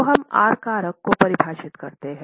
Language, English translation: Hindi, So, we define the R factor